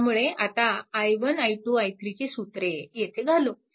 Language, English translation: Marathi, Now, similarly i 2 is equal to i 2 is here